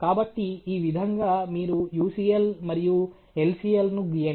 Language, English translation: Telugu, So, this why you draw the UCL and LCL